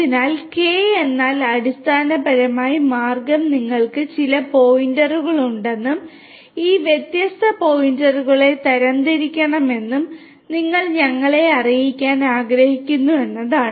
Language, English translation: Malayalam, So, K means basically the way is that you want to let us say that you have let us say that you have certain points you have certain points and you want to classify these different points